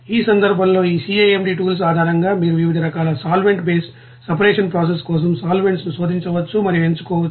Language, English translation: Telugu, And in that case, you will see that based on these CAMD tools you can you know search and you know select the solvents for various types of solvent based separation processes